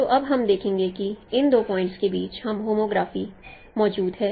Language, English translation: Hindi, So now we will see that there exists a homography between these two points